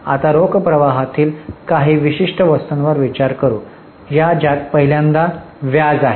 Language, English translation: Marathi, Now let us consider some specific items in the cash flow of which the first one is interest